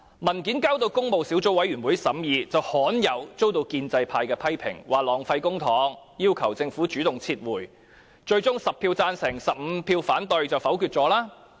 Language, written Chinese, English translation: Cantonese, 文件提交工務小組委員會審議，罕有地遭到建制派批評，指浪費公帑，要求政府主動撤回文件，最終在10票贊成和15票反對下，項目被否決。, The relevant papers were tabled to the Public Works Subcommittee for deliberation but the proposal quite rarely though was criticized by the pro - establishment camp for wasting public coffers and the Government was asked to withdraw the papers on its own initiative . The proposal was eventually negatived with 10 votes in support of it and 15 votes against it